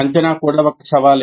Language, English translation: Telugu, And assessment is also a challenge